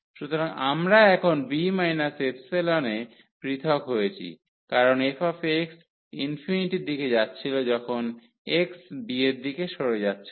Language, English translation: Bengali, So, we have voided now by b minus epsilon because the f x was tending to infinity when x was tending to b